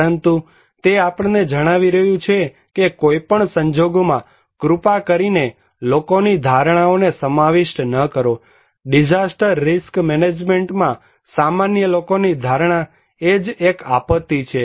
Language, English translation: Gujarati, But they are making us telling us that okay in any case, please do not incorporate people's perceptions, lay people's perceptions in disaster risk management that would be itself a disaster